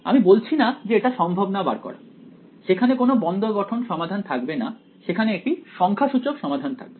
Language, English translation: Bengali, I am not saying its not possible to find it there will not be a closed form solution there will be a numerical solution ok